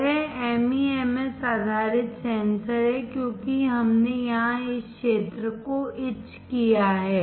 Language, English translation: Hindi, This is MEMS based sensor because we have etched this area here